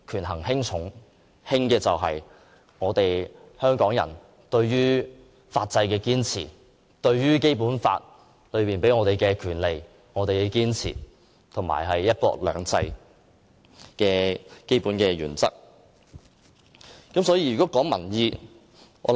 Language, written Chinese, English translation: Cantonese, 輕者，想必是香港人對法制的堅持、對《基本法》賦予我們的權利的堅持和"一國兩制"的基本原則了。, On the other hand what they consider less important may possibly be Hong Kong peoples firm commitment to safeguarding our legal system and our rights under the Basic Law as well as the basic principle of one country two systems